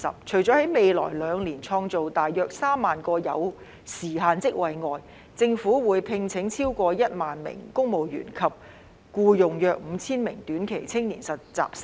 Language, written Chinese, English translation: Cantonese, 除了在未來兩年創造大約3萬個有時限職位外，政府會聘請超過1萬名公務員及僱用約5000名短期青年實習生。, In addition to creating around 30 000 time - limited jobs in the coming two years the Government will recruit over 10 000 civil servants and hire about 5 000 short - term youth interns